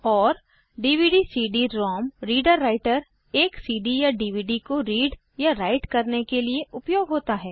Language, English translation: Hindi, And the DVD/CD ROM reader writer is used to read or write a CD or a DVD